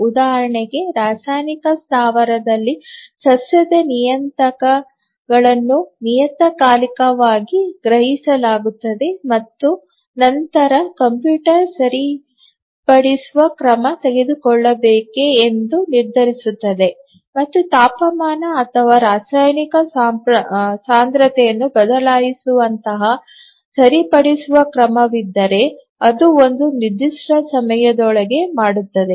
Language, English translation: Kannada, For example, let's say a chemical plant, the parameters of the plant are sensed periodically and then the computer decides whether to take a corrective action and if there is a corrective action like changing the temperature or chemical concentration and so on it does within certain time